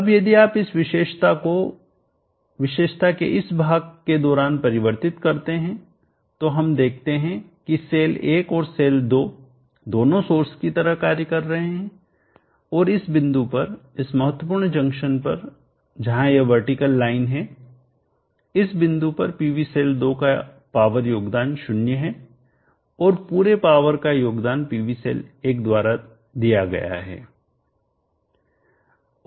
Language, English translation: Hindi, Now if you convert this characteristic during this portion of the characteristic we see that both cell1 and cell 2 are sourcing and at this point, at this critical junction where there this vertical line, this point PV cell 2 contribute 0 power all the power is contributed by PV cell 1